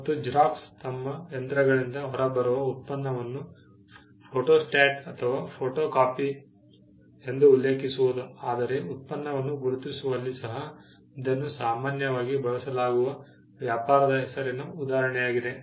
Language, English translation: Kannada, Xerox referring to the product that comes out of their machines that is a photostat or a photocopy is again an instance of a trade name being commonly used in identifying the product